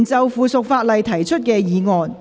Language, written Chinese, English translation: Cantonese, 議員就附屬法例提出的議案。, Members motions on subsidiary legislation